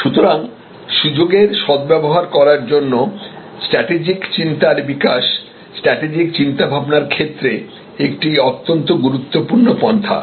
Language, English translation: Bengali, So, developing strategic thinking for intelligent opportunism is a very important approach to strategic thinking